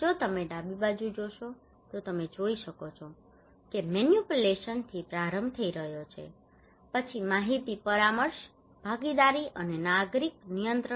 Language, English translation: Gujarati, If you look into the left hand side you can see there is starting from manipulations then informations, consultations, partnership, and citizen control